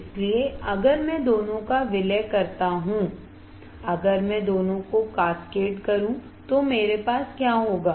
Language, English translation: Hindi, So, if I merge both; if I cascade both what will I have